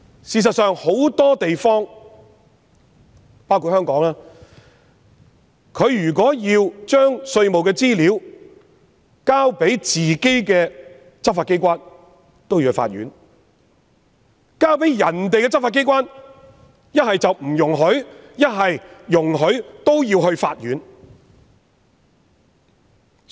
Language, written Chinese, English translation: Cantonese, 事實上，有很多地方，包括香港，如果稅務資料須提交本身的執法機關，便須向法院申請；如果交給其他國家的執法機關，一是不容許，即使容許也要向法院申請。, In fact in many places including Hong Kong the provision of tax - related information to local law enforcement agencies requires prior application to the Court . As for the provision of such information to law enforcement agencies of other countries it is either disallowed or requires application to the Court for approval